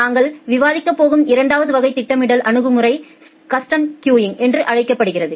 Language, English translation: Tamil, The second type of scheduling strategy that we are going to discuss it called as the custom queuing